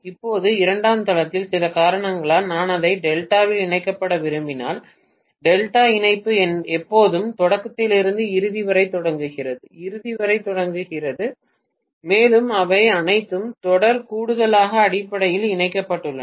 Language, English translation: Tamil, Now on the secondary site, for some reason if I want to connect it in delta, delta connection always connects beginning to the end, beginning to the end and so on they are all connected in series addition basically